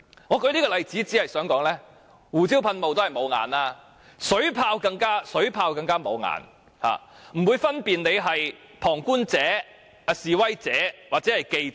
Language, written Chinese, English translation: Cantonese, 我舉這個例子是想指出，胡椒噴霧固然"無眼"，但水炮更加"無眼"，完全不會分辨哪些是旁觀者、示威者或記者。, I am citing this example to point out that pepper spray is certainly indiscriminate . Water cannon is even more indiscriminate . It absolutely cannot discern who are bystanders protesters or reporters